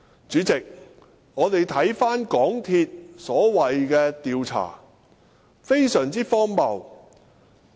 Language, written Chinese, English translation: Cantonese, 主席，港鐵公司所謂的調查是非常荒謬的。, President the so - called investigation conducted by MTRCL is ridiculous